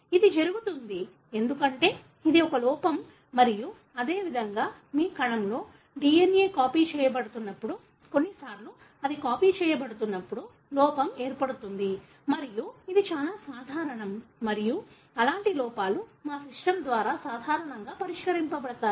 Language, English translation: Telugu, This happens because it is an error and similarly, when the DNA is being copied in your cell, sometimes there is an error the way it’s being copied and this is very, very common and such errors are normally fixed by our system